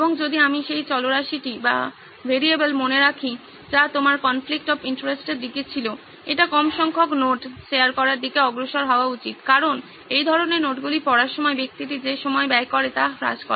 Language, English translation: Bengali, And also if I remember the variable that you had in your conflict of interest towards that, it should move towards low number of notes being shared because that sort of reduces the time that person devotes in reading through so many notes